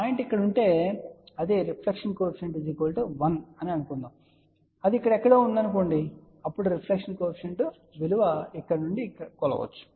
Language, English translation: Telugu, Suppose if the point is here which is then reflection coefficient 1, suppose if it is somewhere here , then the reflection coefficient value can be correspondingly measure from here